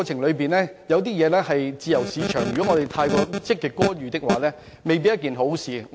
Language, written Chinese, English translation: Cantonese, 香港是自由市場，過分積極干預未必是一件好事。, Hong Kong is a free economy where inordinate positive intervention may not be desirable